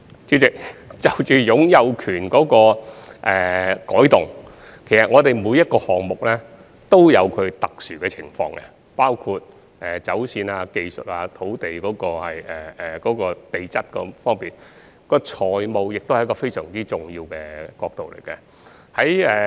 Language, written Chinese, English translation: Cantonese, 主席，關於擁有權模式的改動，其實每個項目均有其特殊情況，包括走線、技術、地質等方面，而財務亦是非常重要的角度。, President regarding changes in the ownership approach in fact each project has its own special circumstances including alignment technology geology and so on and financing is also a very important perspective